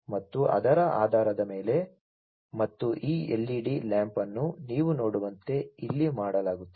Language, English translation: Kannada, And based on that and actuation of this led lamp, as you can see over here will be done